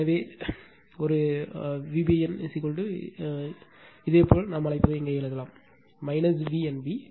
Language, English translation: Tamil, So, this one the V b n that V b n is equal to you can write here what we call minus V n b right